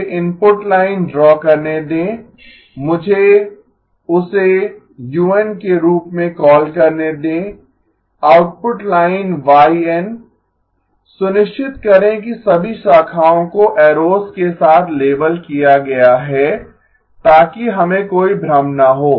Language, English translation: Hindi, Let me draw the input line, let me call that as u of n, the output line y of n, make sure all the branches are labeled with arrows so that we have no confusion